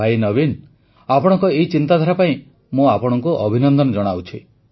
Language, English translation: Odia, Bhai Naveen, I congratulate you on your thought